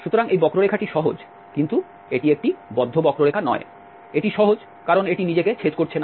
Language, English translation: Bengali, So, this curve is simple but it is not a closed curve, it is simple because it is not intersecting itself